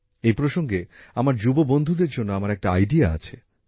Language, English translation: Bengali, In view of this, I have an idea for my young friends